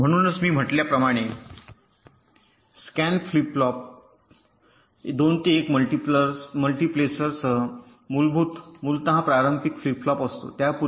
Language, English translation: Marathi, so, as i said, a scan flip flop is essentially a conventional flip flop with a two to one multiplexer before it